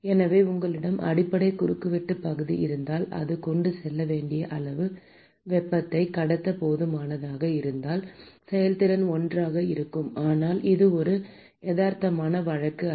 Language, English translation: Tamil, So, therefore, the efficiency if at all you have the base cross sectional area which is sufficient to transport heat as much as whatever is required to be transported then the efficiency is going to be 1, but this is not a realistic case it is just hypothetical yes